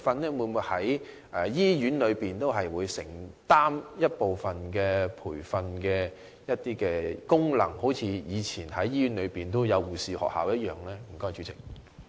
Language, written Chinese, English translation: Cantonese, 而醫院會否承擔一部分培訓功能，一如以往在醫院中設立護士學校的做法呢？, Will hospitals also take part in the provision of training in ways similar to the setting up of nursing schools in hospitals previously?